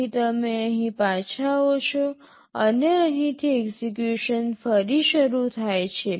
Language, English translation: Gujarati, So, you return back here and resume execution from here